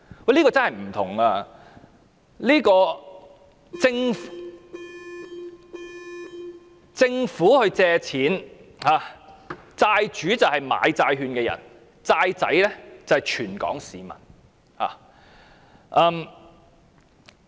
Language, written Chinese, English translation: Cantonese, 這真是有分別的，政府借錢，債主是買債券的人，"債仔"則是全港市民。, There is indeed a difference . The Government is the borrower; the creditor purchasers of the bonds; and the debtor all the people of Hong Kong